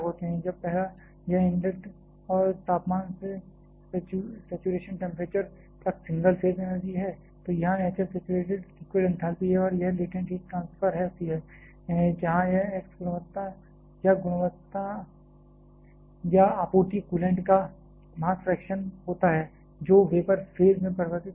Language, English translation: Hindi, When the first one, this is the single phase energy right from the inlet temperature to the saturation temperature here h f is the saturated liquid enthalpy and this is the latent heat transferred, where this x is on the quality or the mass fraction of the supplied coolant which has been converted to the vapor phase